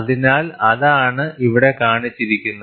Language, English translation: Malayalam, So, that is what is shown here